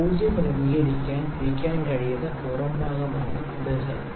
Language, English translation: Malayalam, The bezel is the outer part which can be rotated to adjust this 0